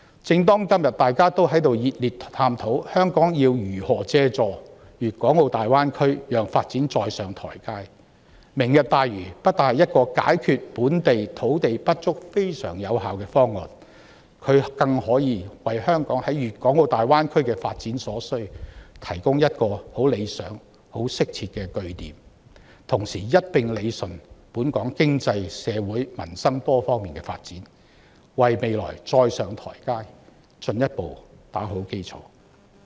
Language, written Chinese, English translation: Cantonese, 正當今天大家都在熱烈探討香港要如何借助粵港澳大灣區讓發展再上台階，"明日大嶼願景"不單能有效解決本地土地不足的問題，更可以為香港在粵港澳大灣區的發展提供很理想和適切的據點，同時一併理順本港經濟、社會、民生等多方面的發展，為香港再上台階進一步打好基礎。, As everyone is fervently exploring how Hong Kong can leverage on the development of the Guangdong - Hong Kong - Macao Greater Bay Area to scale new heights the Lantau Tomorrow Vision will not only provide an effective solution to the local land shortage problem but also serve as a most desirable and appropriate stronghold for Hong Kongs development in the Greater Bay Area . At the same time it can rationalize our development in various aspects such as economy society and livelihood further laying a good foundation for Hong Kong to rise to the next pedestal